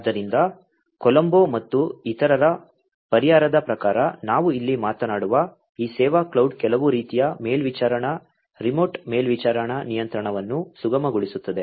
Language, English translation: Kannada, So, this service cloud that we talk about over here, as per the solution by Colombo et al, facilitates some kind of supervisory remote supervisory control